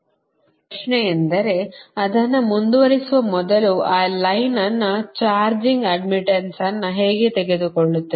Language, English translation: Kannada, now, question is that, before proceeding that, how will take that line, charging admittance